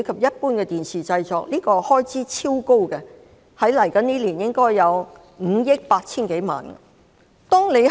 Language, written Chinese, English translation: Cantonese, 這部分的開支超高，未來1年的開支達5億 8,000 多萬元。, The expenditure involved is exceedingly high amounting to over 0.58 billion in the coming year